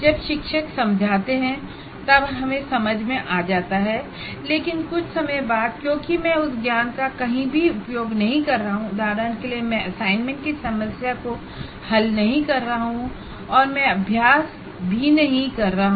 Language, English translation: Hindi, While we seem to be understanding when the teacher explains, but after some time because I am not using that knowledge anywhere, like for example I am not solving assignment problems